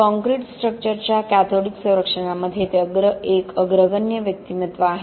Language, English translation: Marathi, He is a pioneering figure in cathodic protection of concrete structures